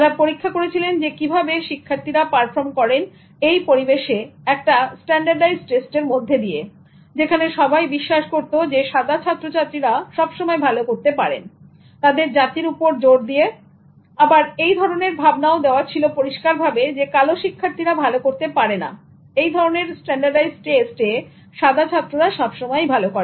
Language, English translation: Bengali, So they studied how they were performing in environment on standardized tests where it is believed that white students would always do better and where their race was emphasized, where it was clearly given as a belief that black students will not do well in this standardized test and white students will always excel